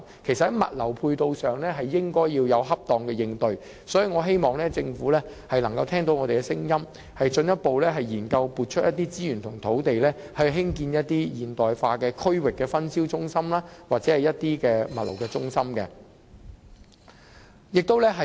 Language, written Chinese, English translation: Cantonese, 其實，在物流配套上，政府應該要有恰當的應對，所以，我希望政府能夠聽到我們的聲音，進一步進行研究，撥出資源和土地興建一些現代化的區域分銷中心或物流中心。, In fact in respect of logistics support the Government should provide appropriate matching facilities . In this connection I hope the Government can hear our voices and further conduct studies and provide resources and land for the development of modernized regional distribution centres or logistics centres